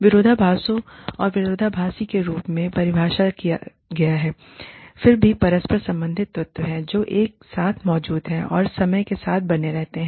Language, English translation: Hindi, Paradoxes are defined, as contradictory, yet interrelated elements, that exist simultaneously, and persist over time